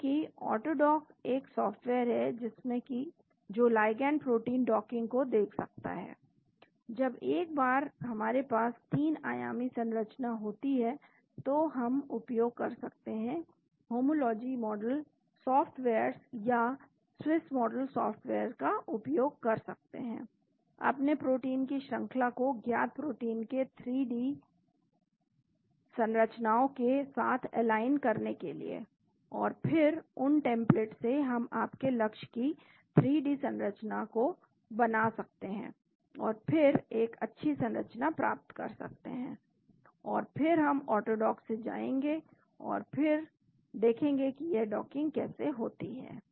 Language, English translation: Hindi, Because AutoDock is one of the software which can look at ligand protein docking and once we have the 3 dimensional structure so we can make use, get use of homology model softwares or Swiss model software to align the sequence of your protein with the known protein 3D structures and then with those templates we can build the 3D structure of your target and then get a good structure and then we go to AutoDock and then see how that docking takes place